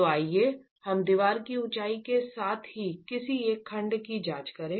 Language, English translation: Hindi, So, let's examine one of the sections along the height of the wall itself